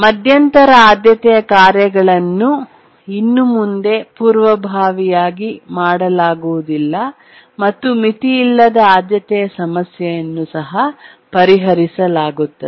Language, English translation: Kannada, The intermediate priority tasks can no longer preempt it and the unbounded priority problem is solved